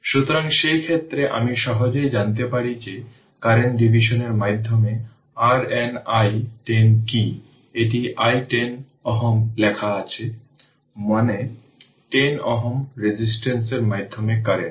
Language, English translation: Bengali, So, in in in that case, you can easily find out that what is your now i 10 through current division, it is written i 10 ohm, that means current through 10 ohm ah resistance